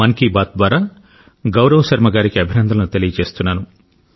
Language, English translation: Telugu, Through the medium of Mann Ki Baat, I extend best wishes to Gaurav Sharma ji